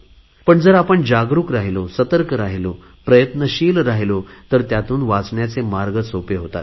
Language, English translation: Marathi, But if we are aware, alert and active, the prevention is also very easy